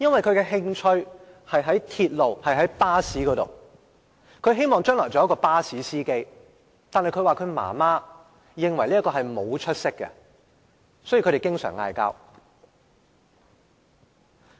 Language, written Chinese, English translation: Cantonese, 他的興趣是在鐵路和巴士方面，希望將來能成為巴士司機，但他說媽媽認為這是沒出息的工作，所以他們經常爭吵。, His interest lies in railways and buses and he wants to be a bus driver in future . However his mother considers such work having no prospects and they thus quarrel frequently